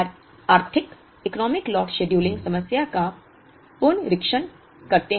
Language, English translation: Hindi, Now, let us revisit the Economic Lot scheduling problem